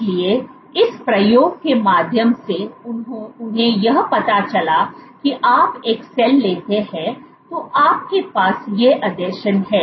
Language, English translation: Hindi, So, through this experiment what they found was if you take a cell, you have these adhesions